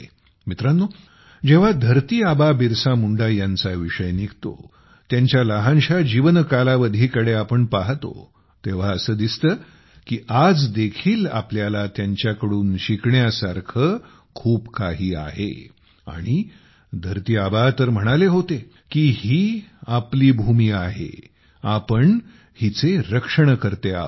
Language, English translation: Marathi, Friends, when it comes to Dharti Aba Birsa Munda, let's look at his short life span; even today we can learn a lot from him and Dharti Aba had said 'This earth is ours, we are its protectors